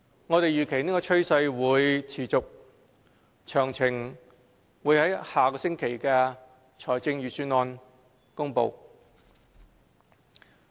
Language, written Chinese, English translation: Cantonese, 我們預期這趨勢會持續，詳情會於下星期的財政預算案公布。, This trend is expected to maintain and the relevant details will be announced in the Budget to be unveiled next week